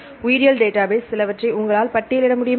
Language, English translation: Tamil, So, could you list some of the biological databases